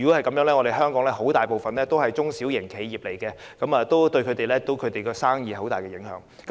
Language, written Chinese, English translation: Cantonese, 鑒於香港大部分公司都是中小型企業，這樣對其生意將有很大的影響。, Given that most companies in Hong Kong are small and medium enterprises this will have a great impact on their business